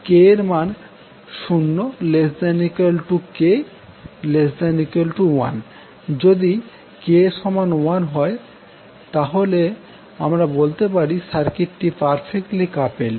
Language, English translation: Bengali, So if k is 1, we will say that the circuit is perfectly coupled